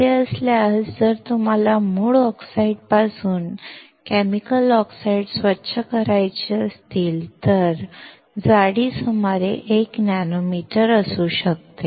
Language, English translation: Marathi, If this is the case, if you want to clean the chemical oxides from the native oxides we can have thickness of about 1 nanometer